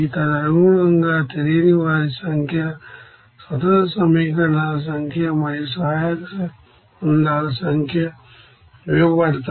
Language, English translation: Telugu, And accordingly, what will be the number of unknowns, number of independent equations and number of auxiliary relations are given